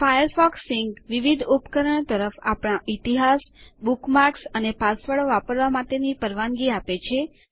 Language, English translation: Gujarati, Firefox Sync lets us use our history, bookmarks and passwords across different devices